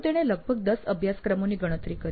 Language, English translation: Gujarati, So he enumerated about 10 courses